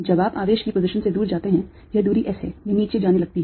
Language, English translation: Hindi, as you go away from the position of the charge, this this is distance s, it starts going down, all right